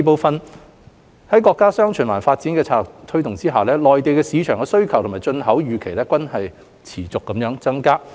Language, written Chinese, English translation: Cantonese, 二在國家"雙循環"發展策略的推動下，內地市場的需求及進口預期均會持續增加。, 2 Driven by our countrys dual circulation development strategy demand of and imports to the Mainland market are expected to grow continuously